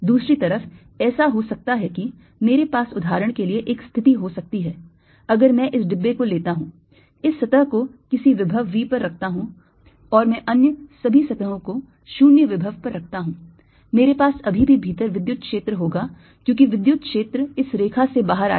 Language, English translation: Hindi, i may have a situation, for example, if i take this box, put this surface at some potential v and i put all the other surfaces at zero potential, i'll still have electric field inside because electric field will be coming out of this line